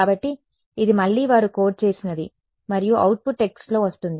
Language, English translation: Telugu, So, again this is something that they have coded and output comes in text